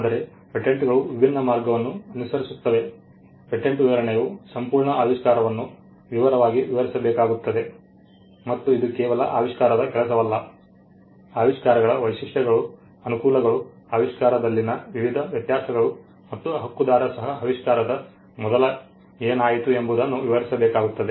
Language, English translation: Kannada, But patents follow a different path the patent specification will have to explain in detail the entire invention and it is not just the invention the working of the invention the features of the inventions the advantages, the various variations in the invention and the right holder will also have to explain what went before the invention